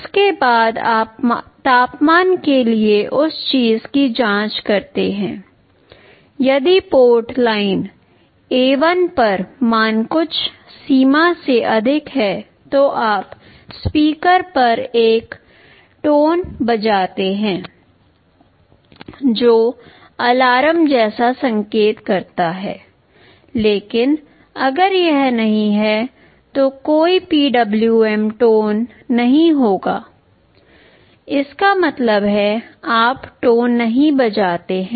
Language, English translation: Hindi, After that you check similar thing for the temperature; if the value on port line A1 is exceeding some threshold, then you play a tone on the speaker that indicates some alarm, but if it is not there will be no PWM tone; that means, you do not play a tone